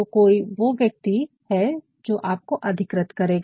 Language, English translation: Hindi, So, somebody may be a person who will actually authorize you